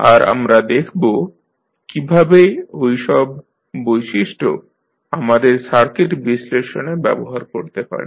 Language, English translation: Bengali, And we will see how we can use those properties in our circuit analysis